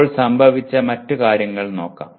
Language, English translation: Malayalam, Now, let us look at other things that happened as of now